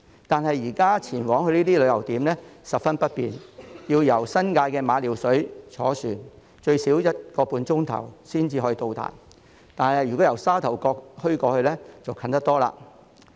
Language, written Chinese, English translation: Cantonese, 但是，現在前往這些旅遊點十分不便，要由新界的馬料水坐船最少一個半小時才能到達，但由沙頭角前往則接近得多。, However travelling to these tourist spots is very inconvenient at present . We have to take a ferry trip of at least one and a half hours from Ma Liu Shui in the New Territories but it is a lot closer if we start off from Sha Tau Kok